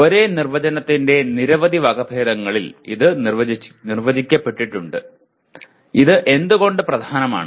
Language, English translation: Malayalam, This has been defined in several variants of the same definition and why is it important